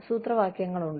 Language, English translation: Malayalam, There are formulas